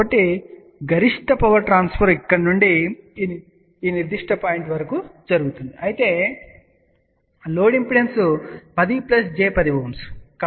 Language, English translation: Telugu, So, maximum power transfer takes place from here to this particular point, but the load impedance is 10 plus j 10 Ohm